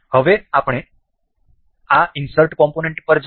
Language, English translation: Gujarati, Now, we will go to this insert component